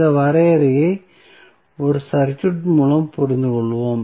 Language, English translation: Tamil, So, let us understand this definition with 1 circuit